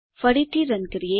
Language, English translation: Gujarati, Let us run again